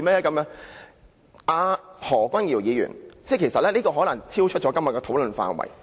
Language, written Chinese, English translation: Cantonese, "我接下來的發言內容可能超出今天的討論範圍。, What I am going to say next may be beyond the scope of todays debate